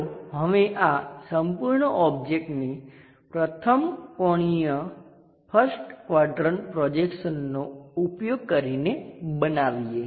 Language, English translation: Gujarati, Now let us construct this entire object using first angle first quadrant projection